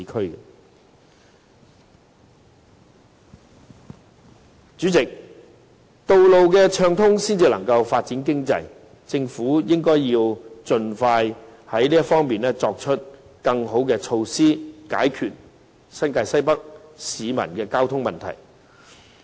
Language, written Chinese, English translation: Cantonese, 代理主席，道路暢通才可以發展經濟，政府應該盡快就此提出更好措施，解決新界西北市民的交通問題。, Deputy President smooth traffic flow will facilitate economic development . Therefore the Government should come up with a better measure as soon as possible in order to address the transportation problem of North West New Territories residents